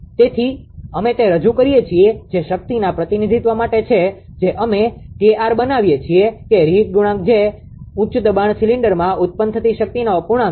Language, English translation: Gujarati, So, we represent that is for the power representation we make it that K r is reheat coefficient that is the fraction of the power generated in the high process cylinder